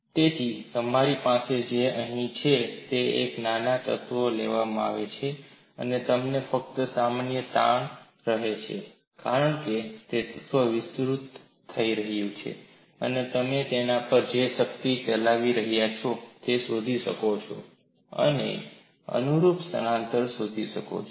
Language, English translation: Gujarati, So, what you have here is, a small element is taken and you are having only normal stress, because of that the element has elongated and you can find out the force which is acting on it, you can find out the corresponding displacement and it is fairly straight forward